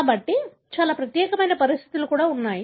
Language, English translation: Telugu, So, but there are conditions that are very unique